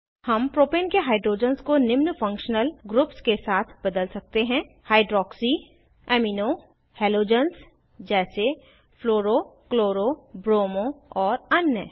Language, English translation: Hindi, We can substitute hydrogens in the Propane with functional groups like: hydroxy, amino, halogens like fluro, chloro, bromo and others